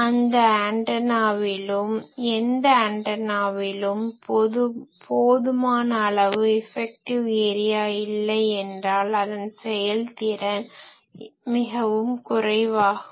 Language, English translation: Tamil, So, if any antenna is not having sufficient electrical area its efficiency will be poor